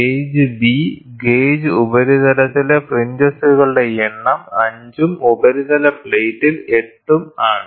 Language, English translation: Malayalam, Gauge B, the number of fringes on the gauge surface is 5 and that on the surface plate is 8